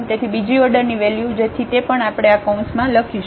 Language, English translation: Gujarati, So, the second order term so that also we have written inside this these parentheses